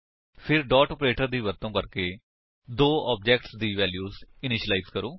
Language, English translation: Punjabi, Then initialize the values of the two objects using dot operator